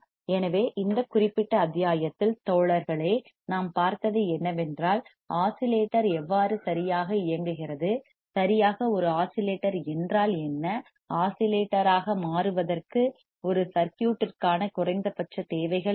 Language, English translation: Tamil, So, what we have seen guys in this particular module, we have seen how the oscillator works right, what exactly is a oscillator, what are the minimum requirements for a circuit two become an oscillator there is a Barkhausen criterion